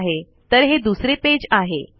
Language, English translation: Marathi, Okay this is the second page